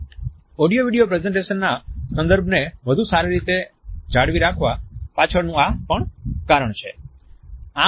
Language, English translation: Gujarati, This is also the reason behind a better retention of content in audio video presentations